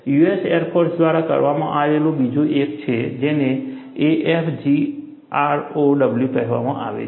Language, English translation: Gujarati, There is another one done by US Air Force, which is called as AFGROW